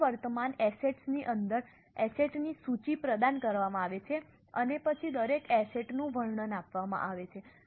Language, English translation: Gujarati, Overall within non current assets a list of asset is provided and then the description of each asset is given